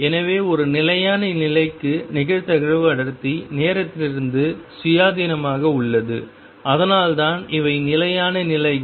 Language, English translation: Tamil, So, for a stationary states the probability density remains independent of time and that is why these are stationary states